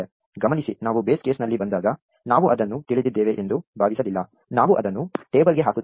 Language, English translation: Kannada, Notice we did not assume we knew it, when we came to it in the base case; we put it into the table